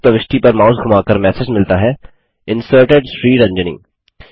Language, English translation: Hindi, Hovering the mouse over this insertion gives the message Inserted: SriRanjani